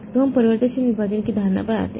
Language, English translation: Hindi, So, we come to the notion of variable partition